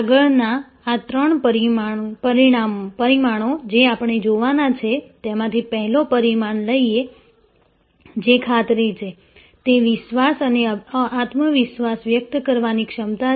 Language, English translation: Gujarati, The next dimensions that we will look at the next three dimensions are assurance; that is the ability to convey trust and confidence